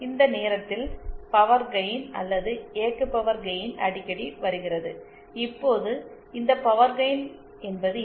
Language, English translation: Tamil, This time, power gain or operating power gain comes across frequently, now what is this power gain